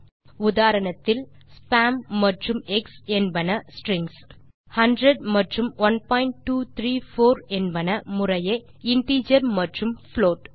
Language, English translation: Tamil, In the previous example spam and eggs are strings whereas 100 and 1.234 are integer and float respectively